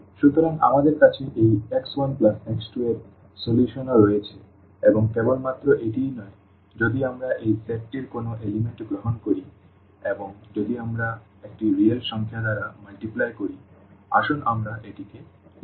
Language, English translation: Bengali, So, we have this x 1 plus x 2 is also a solution and not only this if we take any element of this set and if we multiply by a real number, so, let us say lambda